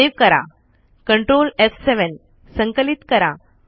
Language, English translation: Marathi, Save it, ctrl f7